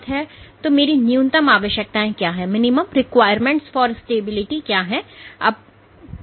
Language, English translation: Hindi, So, what are my minimum requirements so, what you see